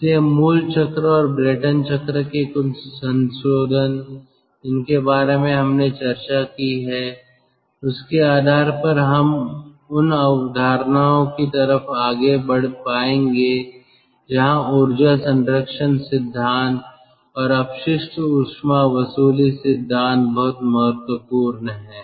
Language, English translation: Hindi, so, basic cycle and some modification of the brayton cycle that we have discussed, based on that, we will be able to produce a sorry, we will be able to proceed to the concepts where ah, the, the ah energy conservation principle and waste heat recovery principles are very important